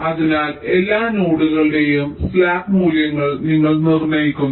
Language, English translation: Malayalam, so you determine the slack values of all the nodes